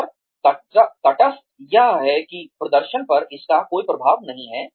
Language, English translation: Hindi, And, neutral is that, it has no effect on performance